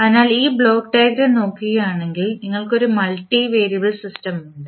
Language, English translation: Malayalam, So, if you see this block diagram here you have one multivariable system